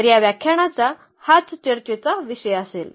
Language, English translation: Marathi, So, that will be the also topic of discussion of this lecture